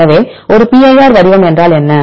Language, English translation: Tamil, So, what is a pir format